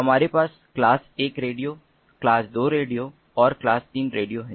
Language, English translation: Hindi, we have the class one radios, class two radios and class three radios